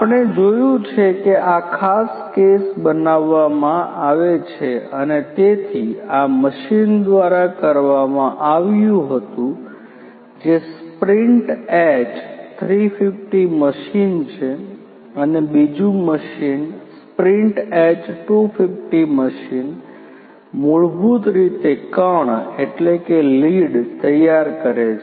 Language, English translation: Gujarati, As we have seen this particular case is made and so, this was done by a machine the machine you know which is the H sprint H 350 machine and another machine the sprint H 250 machine basically prepares the lid